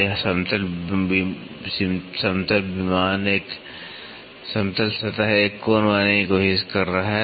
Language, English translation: Hindi, So, this flat plane is trying to make an angle